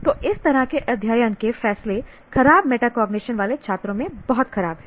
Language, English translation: Hindi, So, this kind of study decisions are very poor in students with poor metacognition